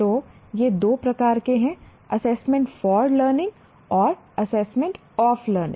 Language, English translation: Hindi, So these are the two types of assessments, assessment for learning and assessment of learning